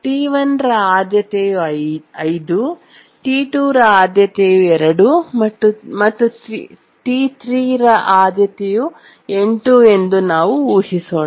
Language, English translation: Kannada, We have these, let's assume that T1's priority is 5, T2's priority is 2 and T3's priority is 8